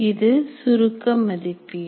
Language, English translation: Tamil, That is summative valuation